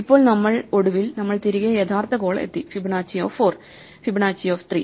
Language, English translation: Malayalam, And now we are finally, back to the original call where we had to compute Fibonacci of 4 and Fibonacci of 3